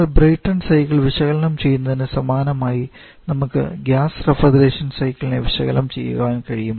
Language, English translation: Malayalam, Just the way you analysis, Brayton cycle similarly we can analyse that gas refrigeration cycle as well